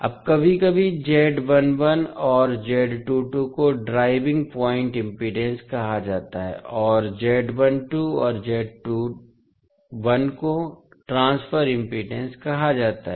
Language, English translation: Hindi, Now, sometimes the Z1 and Z2 are called driving point impedances and Z12 and Z21 are called transfer impedance